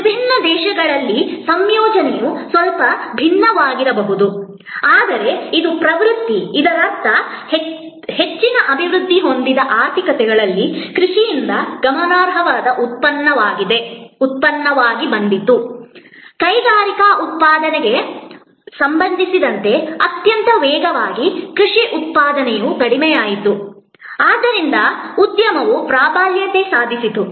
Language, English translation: Kannada, In different countries the composition maybe slightly different, but this is the trend; that means, in most developed economies a significant output came from agriculture, very rapidly agricultural output with respect to industry output diminished, so industry dominated